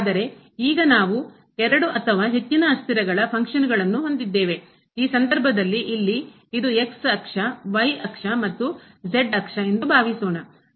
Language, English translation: Kannada, But now, we have functions of two or more variables, in this case suppose here this is axis, axis and axis